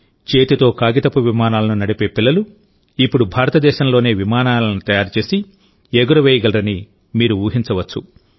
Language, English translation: Telugu, You can imagine the children who once made paper airplanes and used to fly them with their hands are now getting a chance to make airplanes in India itself